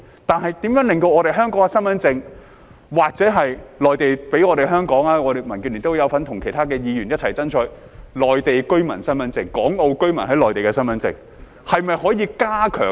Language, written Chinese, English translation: Cantonese, 但是，如何令香港身份證或內地給香港......民建聯有份與其他議員一起爭取內地居民身份證，即港澳居民在內地的身份證，是否可以加強......, However how can the Hong Kong identity card or one issued to Hongkongers by the Mainland The Democratic Alliance for the Betterment and Progress of Hong Kong has joined hands with other Members to push for the issuance of Mainland residents identity cards for Hong Kong and Macao residents use in the Mainland